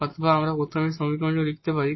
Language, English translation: Bengali, So, having this equation now we can just rewrite this